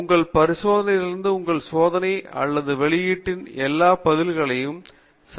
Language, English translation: Tamil, You take the average of all the responses from your experiments or output from your experiments